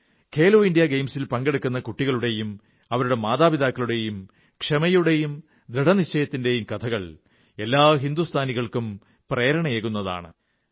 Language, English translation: Malayalam, The stories of the patience and determination of these children who participated in 'Khelo India Games' as well as their parents will inspire every Indian